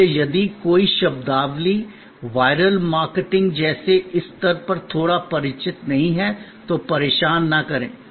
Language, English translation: Hindi, So, if something a terminology is a little not familiar at this stage like viral marketing, do not bother